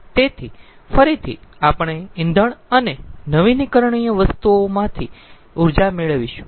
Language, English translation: Gujarati, so again we will get the energy from the fuel and renewables